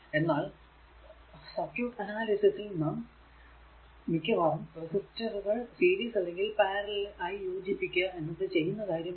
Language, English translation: Malayalam, So, in circuit analysis, actually it then actually we have to need to combine the resistor, either in series or parallel occurs frequently, right